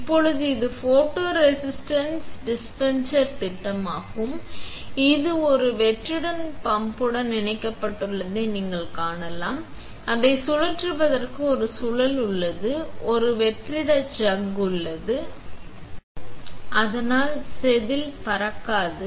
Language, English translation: Tamil, Now, this is the this is the schematic of the photoresist dispenser, where you can see there is it is connected to a vacuum pump, there is a spindle for spinning it, there is a vacuum chuck, so that wafer will not fly and then there is a photoresist dispenser